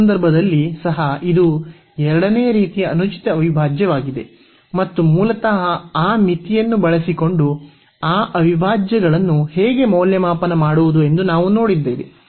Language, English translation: Kannada, So, in that case also this is a improper integral of a second kind and they we have seen how to evaluate those integrals basically using that limit